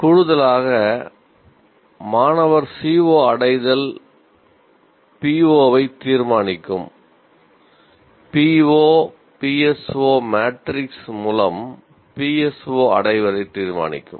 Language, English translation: Tamil, And in addition, the student CO attainment in turn will determine the PO PSO attainment through we will see what this course P